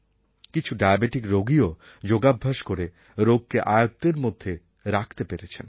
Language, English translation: Bengali, Some diabetic patients have also been able to control it thorough their yogic practice